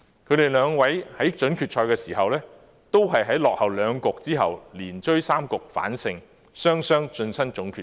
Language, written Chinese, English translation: Cantonese, 他們兩位在準決賽時，同在落後兩局之後，連追三局反勝對手，雙雙晉身總決賽。, Both of them reached the final after turning the tables on their opponents by winning three games in a row in the semi - finals having fallen behind by two games